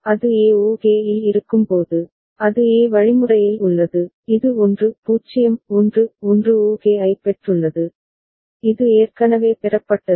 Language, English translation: Tamil, And when it is at e ok, then it is at e means, it has received 1 0 1 1 ok, this is already received